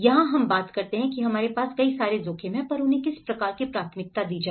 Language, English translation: Hindi, So, this is where we talk about, we have many risks but how to prioritize the list